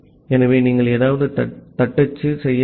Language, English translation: Tamil, So, you need to type something